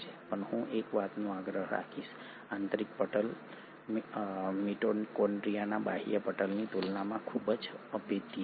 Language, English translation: Gujarati, But I will insist on one thing; the inner membrane is highly impermeable compared to the outer membrane of the mitochondria